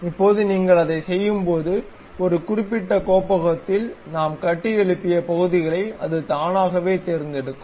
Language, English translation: Tamil, Now, when you do that either it will automatically select the parts whatever we have constructed in a specific directory